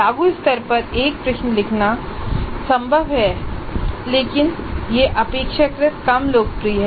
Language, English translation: Hindi, It is possible to compose a question at apply level but that is relatively less popular